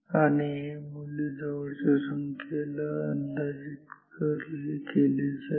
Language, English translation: Marathi, And, this value will get approximated by possibly this is the closest integer